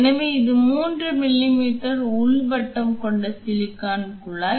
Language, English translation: Tamil, So, this is a 3 m m inner diameter silicon tube